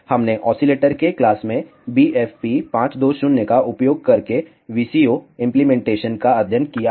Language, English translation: Hindi, We have studied the VCO implementation using BFP 520 in the oscillator class